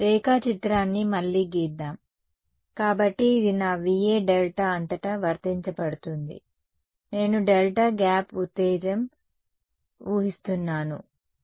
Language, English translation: Telugu, Let us draw are diagram again ok, so this is my Va applied across delta; I am assuming a delta gap excitation ok